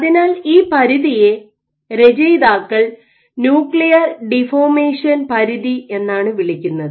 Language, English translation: Malayalam, So, this limit the authors named as a nuclear deformation limit